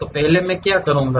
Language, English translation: Hindi, So, first what I will do